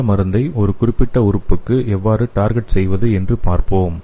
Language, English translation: Tamil, So let us see how we can target this drug to a particular organs